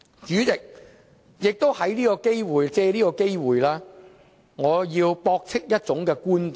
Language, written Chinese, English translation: Cantonese, 主席，我想借這個機會，駁斥一種觀點。, Chairman I would like to take this opportunity to refute one argument